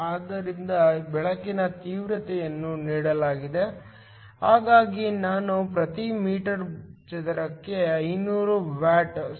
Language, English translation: Kannada, So, the intensity of the light is given; so I is 500 watts per meter square